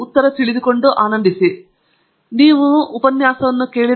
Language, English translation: Kannada, Hopefully you enjoyed the lecture